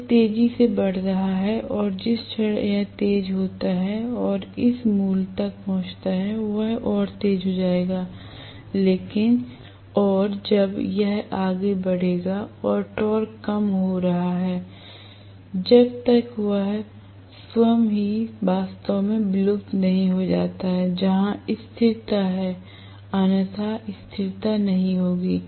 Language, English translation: Hindi, It is accelerating and the moment it accelerates and reaches this value it will accelerate further and when it accelerates further and the torque is decreasing, so when it is not really fading into it is own self that is where stability is otherwise there will not be stability